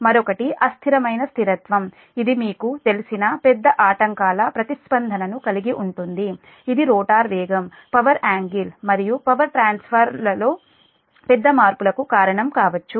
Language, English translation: Telugu, it involves the response to large disturbances that you know which may cause rather large changes in rotor speed, power angles and power transfer